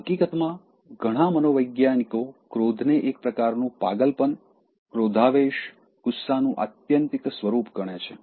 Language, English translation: Gujarati, In fact, many psychologists associate anger, as a kind of madness, the word rage, the extreme form of anger indicates that